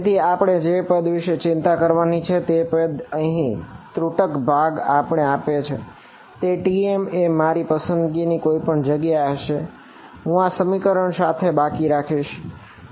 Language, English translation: Gujarati, So, the kind of term we have to worry about is here is dotted part over here TM is anyway going to be my choice what am I left with is this expression right